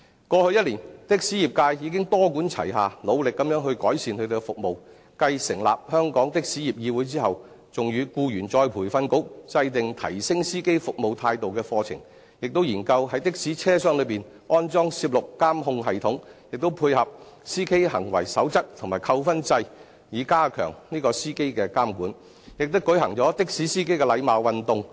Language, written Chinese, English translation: Cantonese, 過去一年，的士業界已經多管齊下努力地改善他們的服務，繼成立香港的士業議會後，還與僱員再培訓局制訂提升司機服務態度的課程，亦研究於的士車廂內安裝攝錄監控系統，並配合司機行為守則及扣分制，以加強對司機的監管，亦舉行的士司機禮貌運動。, After setting up the Hong Kong Taxi Council they worked out a programme together with the Employees Retraining Board on enhancing the service attitude of taxi drivers . In order to step up surveillance on taxi drivers and in support of the code of conduct of drivers and the points system they also studied the installation of a video surveillance device inside the taxi . A courtesy campaign was also launched